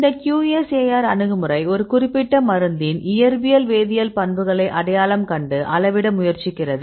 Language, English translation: Tamil, So, this QSAR approach right it try identify and quantify the physicochemical properties of a drug right